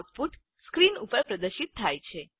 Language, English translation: Gujarati, The output is displayed on the screen